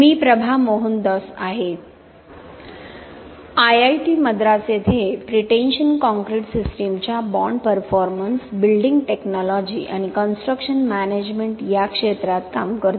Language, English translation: Marathi, I am Prabha Mohandoss working in the area of bond performance of pretension concrete system, in building technology and construction management at IIT Madras